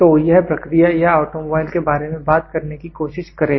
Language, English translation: Hindi, So, this will try to talk about the process or the automobile